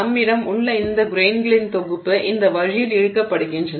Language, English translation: Tamil, So, let's say we have this set of grains that are being pulled this way and this way